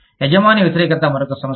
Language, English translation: Telugu, Employer opposition is another issue